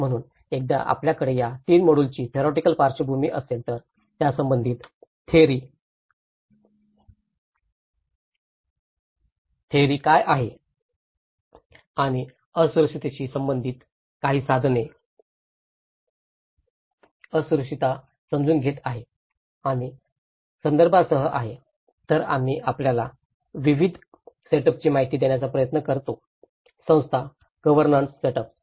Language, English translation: Marathi, So, once if you have a theoretical background of these 3 modules, what is the theory related to it and some of the tools on vulnerability, understanding the vulnerability and with the context, then we try to give you an understanding of the setup of various organizations, the governance setups